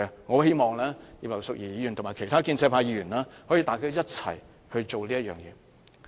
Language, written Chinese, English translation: Cantonese, 我希望葉劉淑儀議員和其他建制派議員可以一同做此事。, I hope Mrs Regina IP and other pro - establishment Members can do this together